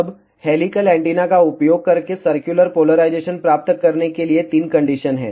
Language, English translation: Hindi, Now, there are three conditions to obtain circular polarization using helical antenna